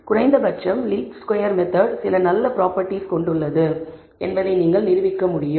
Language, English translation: Tamil, That you can at least prove that the least squares method has some nice properties